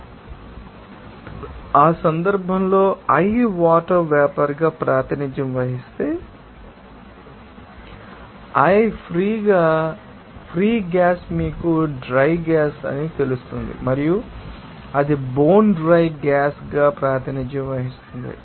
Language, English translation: Telugu, So, in that case, if i represented as water vapor, so, i free gas will be simply you know that dry gas and it will be represented as bone dry gas